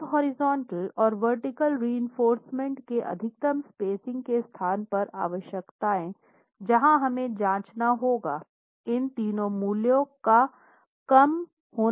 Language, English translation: Hindi, Now the requirements on spacing, the maximum spacing of the horizontal and vertical reinforcement that we must check has to be the lesser of these three values